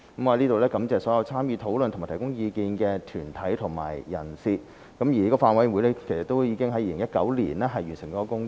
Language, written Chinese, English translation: Cantonese, 我在此感謝所有參與討論和提供意見的團體和人士，而法案委員會已在2019年完成了工作。, I hereby thank all those deputations and individuals whichwho have participated in the discussion and given their views . The Bills Committee already finished its work in 2019